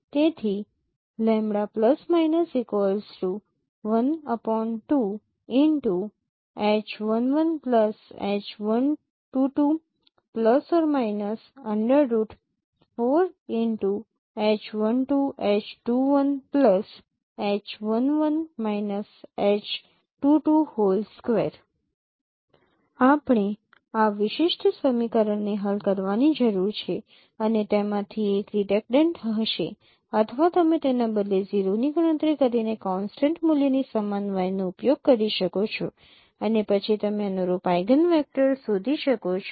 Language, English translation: Gujarati, And for eigenvector we need to solve this particular equation and one of them would be redundant or you can know rather you can use y equal to some constant value assuming that is not 0 and then you can find out the corresponding eigenvector